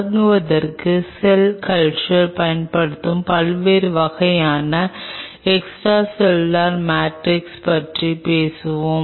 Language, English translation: Tamil, To start off with we will be talking about different types of extracellular matrix used in cell culture